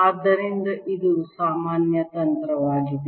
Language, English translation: Kannada, so this is a general strategy